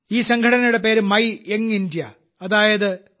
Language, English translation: Malayalam, The name of this organization is Mera Yuva Bharat, i